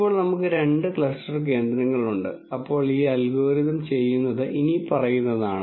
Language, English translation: Malayalam, Now, that we have two cluster centres then what this algorithm does is the following